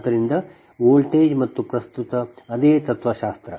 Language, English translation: Kannada, so voltage and current, same philosophy